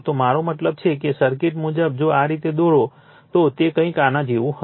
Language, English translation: Gujarati, I mean the circuit wise if we draw like this, it will be something like this